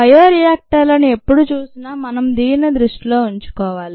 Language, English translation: Telugu, we need to keep this in mind when ever we look at bioreactors